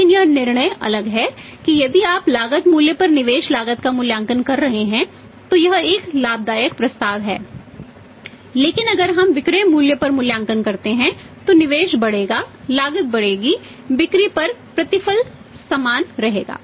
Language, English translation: Hindi, But if the decision is different that if your valuing at the investment cost at the cost price then it is a profitable proposition but if value at the selling price investment will increase cost will increase return on the sales remains the same